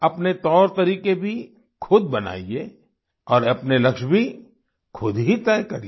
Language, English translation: Hindi, Devise your own methods and practices, set your goals yourselves